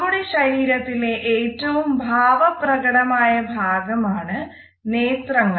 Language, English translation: Malayalam, Eyes are the most expressive part of our body